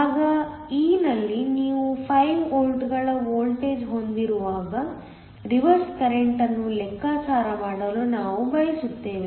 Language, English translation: Kannada, In part e, we want to calculate the reverse current when you have a voltage of 5 volts